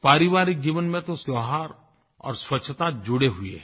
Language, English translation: Hindi, In individual households, festivals and cleanliness are linked together